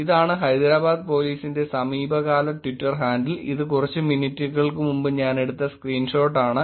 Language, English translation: Malayalam, This is the Hyderabad Police recent Twitter handle; I just took the screenshot few minutes before again